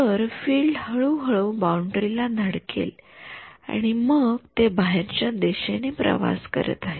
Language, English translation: Marathi, So, the field is slowly hit the object and then its travelling outwards